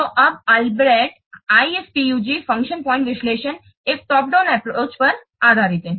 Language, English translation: Hindi, So this Albreast IFPUG function point analysis is based on a top down approach